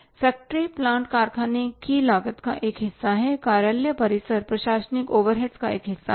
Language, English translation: Hindi, Consumable stores are always required in the factory cost, office premises is the part of the administrative overheads